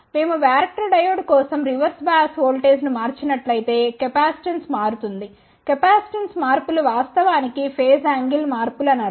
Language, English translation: Telugu, We have seen that for a varactor diode if we change the reverse bias voltage its capacitance changes change in the capacitance actually means phase angle changes as we will see in a short while